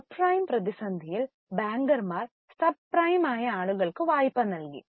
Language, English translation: Malayalam, In subprime crisis, bankers gave lot of loans to those borrowers which were subprime